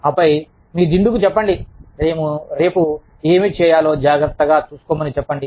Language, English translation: Telugu, And then, tell your pillow, to take care of whatever, you can do tomorrow